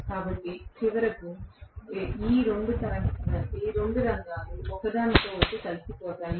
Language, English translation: Telugu, So, ultimately both these fields align themselves with each other right